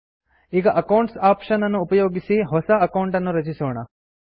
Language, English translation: Kannada, Now, lets create a new account using the Accounts option